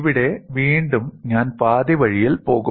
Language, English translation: Malayalam, Here again, I will go half way